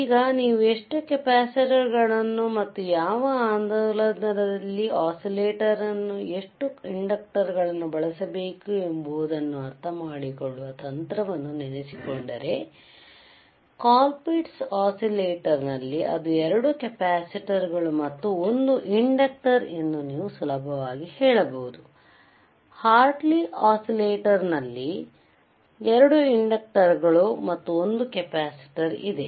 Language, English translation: Kannada, Now, if you remember our trick to understand how many capacitors and how many inductors you have to use, in which oscillator, you have been sseen that in a Ccolpitts oscillator you can easily say that it iswas 2 capacitors and, 1 inductor right, while in Hartley oscillator there were 2 inductors and 1 capacitor